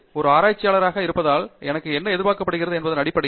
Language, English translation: Tamil, Based on what is expected of me for being a researcher